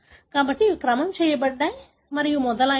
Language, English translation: Telugu, So, they have sequenced and so on